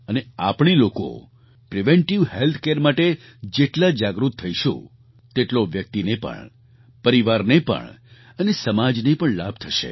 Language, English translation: Gujarati, And, the more we become aware about preventive health care, the more beneficial will it be for the individuals, the family and the society